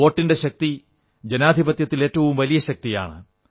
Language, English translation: Malayalam, The power of the vote is the greatest strength of a democracy